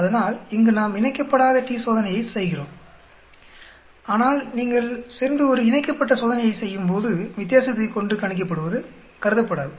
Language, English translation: Tamil, So here we are doing unpaired t Test, whereas if you go and do a paired t Test, calculate now by the difference is not considered